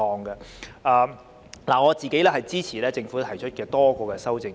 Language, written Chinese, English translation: Cantonese, 我支持政府提出的多項修正案。, I support the various amendments proposed by the Government